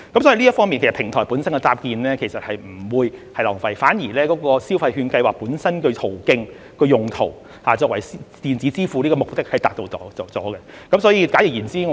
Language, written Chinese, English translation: Cantonese, 所以，平台本身的搭建其實是不會浪費的，反而就消費券計劃本身的發放途徑和用途而言，鼓勵使用電子支付的目的已經達到。, Therefore the platforms built will not be wasted . On the contrary insofar as the means of disbursement and usage of the Scheme are concerned the objective of encouraging the use of electronic payment has been achieved